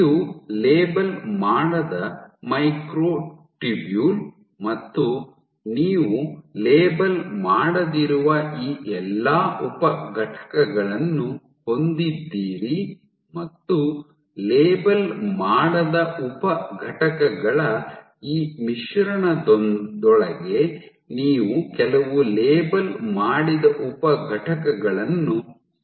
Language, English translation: Kannada, So, this is a unlabelled microtubule and what you add is among the; you have all these sub units which are unlabeled and within this mix of unlabelled sub units you add some labelled sub units